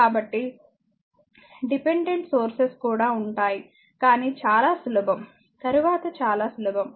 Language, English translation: Telugu, So, dependent source also will be there, but very simple later you will know very simple